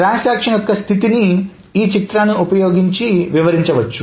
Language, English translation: Telugu, And the state of a transaction can be essentially explained using this diagram